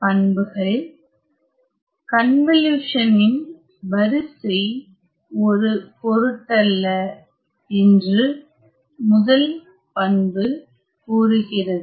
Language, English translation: Tamil, So, the first property says that the order of the convolution does not matter